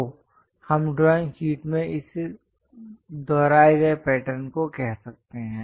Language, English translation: Hindi, So, we can say this repeated pattern in the drawing sheets